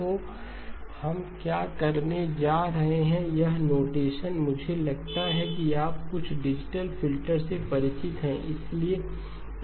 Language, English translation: Hindi, So what we are going to do is, this notation I think you are familiar with some digital filters